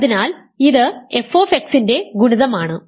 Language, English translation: Malayalam, So, it is an element of c